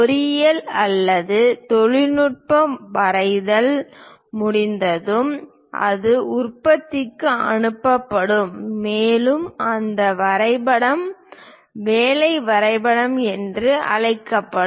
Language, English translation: Tamil, Once engineering or technical drawing is done, it will be sent it to production and that drawing will be called working drawings